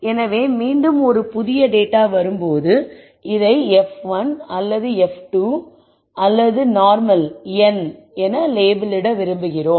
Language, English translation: Tamil, So, again when a new data comes in we want to label this as either normal f 1 or f 2 if it is normal, you do not do anything